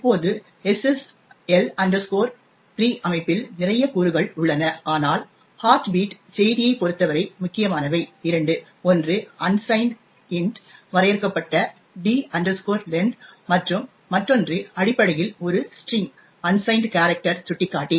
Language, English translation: Tamil, Now, SSL 3 structure has a lot of elements but the important ones with respect to the heartbeat message are just two, one is the D length which is defined as unsigned int and the other one is data which is essentially a string, unsigned character pointer